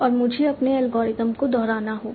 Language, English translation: Hindi, And I will have to repeat my algorithm